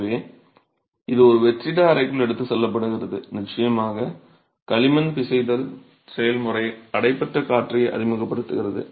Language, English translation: Tamil, So, it's taken into a dry, into a vacuum chamber and of course the kneading process of the clay introduces entrapped air